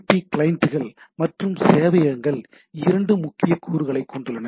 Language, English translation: Tamil, So, SMTP clients and servers have 2 major components